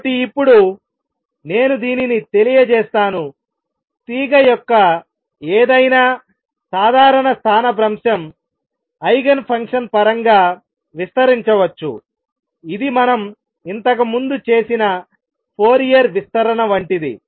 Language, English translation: Telugu, So, now, let me just state this any general displacement of the string can be expanded in terms of the Eigen functions this is like the Fourier expansion we did earlier